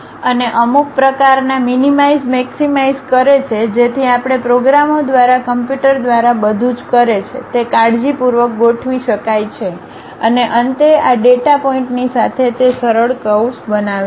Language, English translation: Gujarati, And, we minimize maximize certain kind of weights so that we carefully adjust that everything does by computer by programs and finally, it construct a smooth curve along this data points